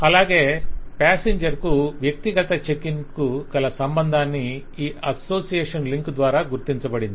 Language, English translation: Telugu, The passenger is associated with the individual checking, which is marked by this association link